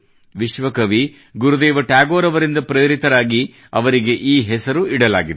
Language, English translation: Kannada, He has been so named, inspired by Vishwa Kavi Gurudev Rabindranath Tagore